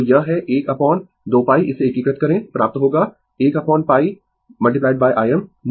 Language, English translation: Hindi, So, it is 1 upon 2 pi into integrate it, you will get 1 upon pi into I m right